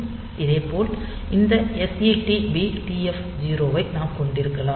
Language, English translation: Tamil, Similarly, we can have this SETB TF 0